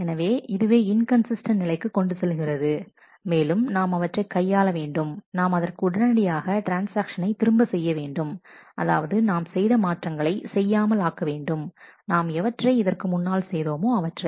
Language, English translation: Tamil, So, this leads to inconsistent state and to handle that what we need to do is to roll back the transaction, which means that we need to undo the changes that we have already done